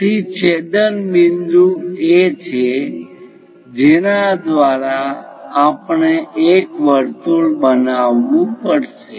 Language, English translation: Gujarati, So, intersection point is O through which we have to construct a circle